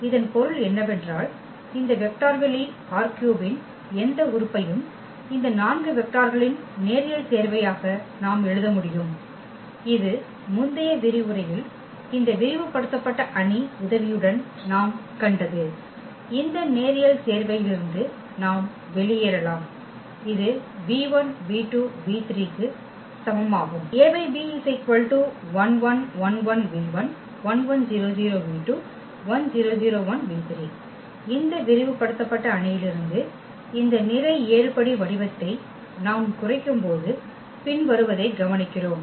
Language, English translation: Tamil, The meaning was that any element of this vector space R 3 we can write as a linear combination of these 4 vectors, this is what we have seen in previous lecture with the help of this augmented matrix which we can get out of this linear combination equal to this v 1 v 2 v 3